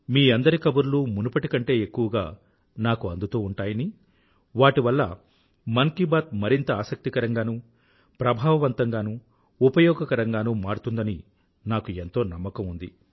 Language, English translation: Telugu, I firmly believe that your ideas and your views will continue reaching me in even greater numbers and will help make Mann Ki Baat more interesting, effective and useful